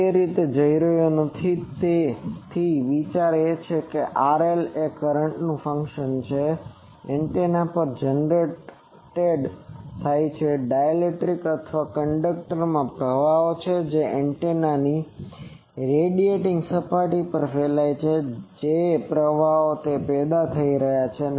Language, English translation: Gujarati, I am not going that way so the idea is that the losses this R L is a function of the currents that gets generated on the antenna, currents in dielectric or in conductor that radiating on the radiating surface of the antenna what are currents are getting generated that is the thing for loss